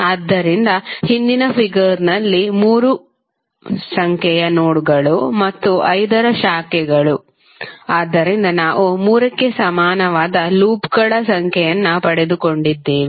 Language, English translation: Kannada, So, in the previous of figure the nodes for number of 3 and branches of 5, so we got number of loops equal to 3